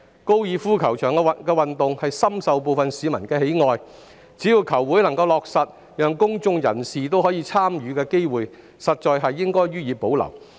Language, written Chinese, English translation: Cantonese, 高爾夫球運動深受部分市民喜愛，只要球會能夠落實讓公眾人士享有參與的機會，高爾夫球場應予以保留。, As golf is a popular sport among some members of the public the golf course should be retained as long as the golf club opens up its facilities for participation by members of the public